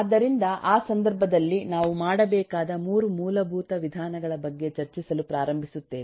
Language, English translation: Kannada, so in that eh context, we start discussing about the three basic approaches that we need to do